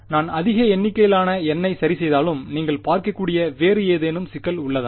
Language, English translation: Tamil, Even if I fix a large number of N, is there any other problem conceptually that you can see